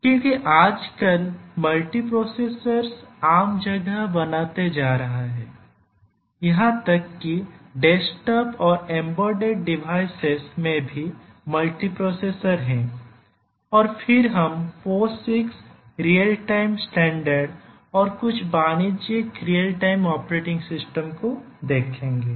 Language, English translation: Hindi, Because nowadays multiprocessors are becoming common place even the desktops embedded devices have multiprocessors and then we will look at the Posix real time standard and then we will look at some of the commercial real time operating system